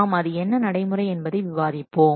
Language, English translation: Tamil, We will discuss the procedure